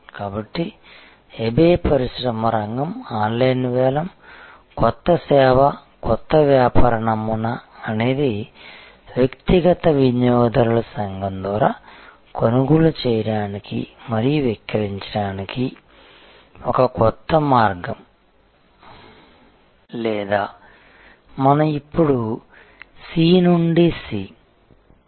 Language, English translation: Telugu, So, eBay industry sector is online auction, new service new business model is a new way of buying and selling through a community of individual users or what we just now called C to C